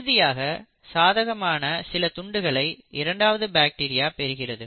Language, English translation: Tamil, And the second bacteria requires certain favourable features of the first bacteria